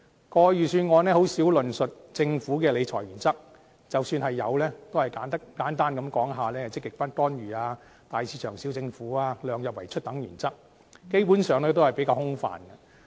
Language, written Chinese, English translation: Cantonese, 過去的預算案很少論述政府的理財原則，即使有，也只是簡單提出"積極不干預"、"大市場小政府"及"量入為出"等原則，基本上比較空泛。, Principles of management of public finances were rarely touched upon in the past Budgets and even if they were mentioned they would be the simple principles of positive non - intervention big market small government and keeping expenditure within the limits of revenues which are rather vague . In this Budget the Financial Secretary mentions three objectives in public finance